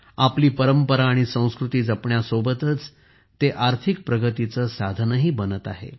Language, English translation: Marathi, Along with preserving our tradition and culture, this effort is also becoming a means of economic progress